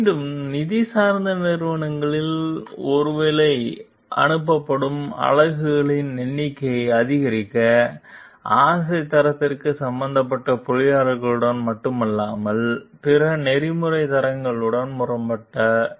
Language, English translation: Tamil, Again, in finance oriented companies, the desire to maximize maybe the number of units shipped conflicted not only with the engineers concerned for quality, but also with other ethical standards